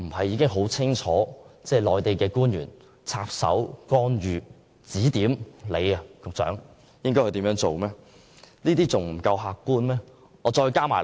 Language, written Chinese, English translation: Cantonese, 然而，內地官員插手干預及指點局長做事，顯然是客觀的事實。, However it is obviously an objective fact that we are having Mainland officials interfering our affairs and instructing the Secretary what to do